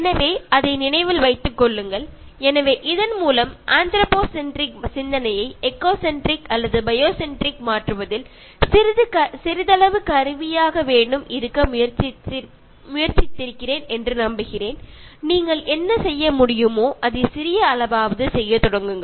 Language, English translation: Tamil, So, keep that in mind, so with this I hope I will try to be somewhat instrumental in changing your anthropocentric thinking to eco centric or bio centric and start doing your bit, whatever you can do